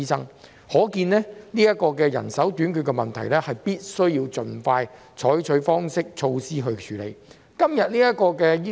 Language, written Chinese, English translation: Cantonese, 由此可見，就人手短缺問題，當局必須盡快採取措施處理。, Thus it is crucial for the authorities to take timely action to address the problem of manpower shortage